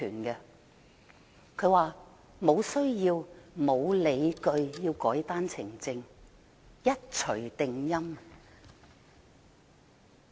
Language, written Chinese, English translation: Cantonese, 她卻說無需要和無理據要修改單程證，一錘定音。, Yet she says so very definitively that there is no need and no justification for amending OWPS